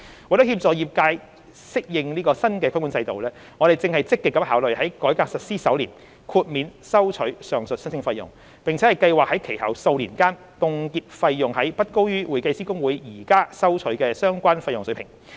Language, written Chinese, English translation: Cantonese, 為協助業界適應新規管制度，我們正積極考慮在改革實施首年豁免收取上述申請費用，並計劃在其後數年間凍結費用於不高於會計師公會現正收取的相關費用水平。, In order to help the accounting profession adapt to the new regulatory regime we are actively considering exemption of the aforementioned application fees in the first year of the implementation of the reform and planning to freeze the fees for the first few years thereafter at a level no higher than that which is currently collected by HKICPA